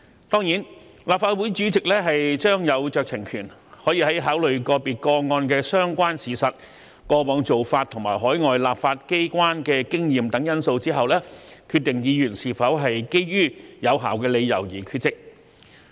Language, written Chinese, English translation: Cantonese, 當然，立法會主席將有酌情權，可以在考慮個別個案的相關事實、過往做法及海外立法機關的經驗等因素後，決定議員是否基於有效理由而缺席。, Of course the President of the Legislative Council will have the discretion to decide whether the absence of a Member is due to valid reasons after taking into consideration such factors as the relevant facts of individual cases past practices and the experience of overseas legislatures